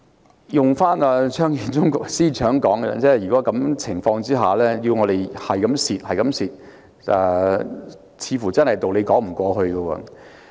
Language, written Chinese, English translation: Cantonese, 套用張建宗司長的說法，如果在這樣的情況下要市民繼續虧蝕，似乎真的說不過去。, In the words of Chief Secretary Matthew CHEUNG it was really unacceptable if we allow members of the public to keep suffering from losses under such circumstances